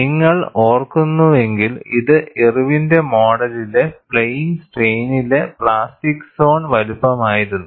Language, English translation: Malayalam, If you recall, this was the plastic zone size in plane strain by Irwin's model